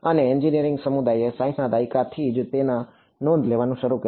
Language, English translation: Gujarati, And the engineering community began to take notice of it only by the 60s ok